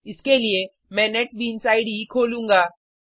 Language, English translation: Hindi, For this, I will switch to Netbeans IDE